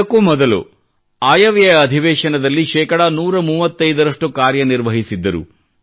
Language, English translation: Kannada, And prior to that in the budget session, it had a productivity of 135%